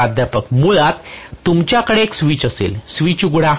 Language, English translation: Marathi, Basically, you will have a switch ,open the switch